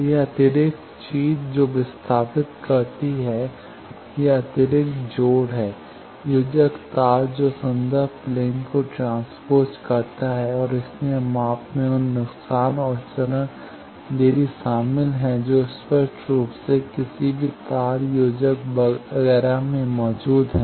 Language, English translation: Hindi, So, this extra thing that shifts the, this extra connections, connectors cables that shifts the reference plane and that is why the measurement includes those loss and phase delays that are obviously, present in any cable connector etcetera